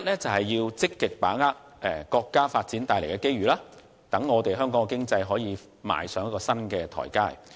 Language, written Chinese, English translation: Cantonese, 第一，積極把握國家發展帶來的機遇，讓香港經濟可以踏上新台階。, First of all actively seize the opportunities brought by our countrys development to lift the economy of Hong Kong to a new level